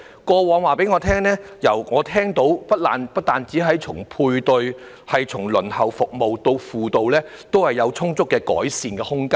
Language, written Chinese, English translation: Cantonese, 過去的經驗讓我知道，從配對、輪候服務，以至輔導，皆有充足的改善空間。, From my past experience I know that there is plenty of room for improvement in respect of matching services waiting time and counselling